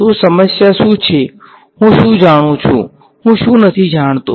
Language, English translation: Gujarati, So, what is a problem, what do I know, what do I not know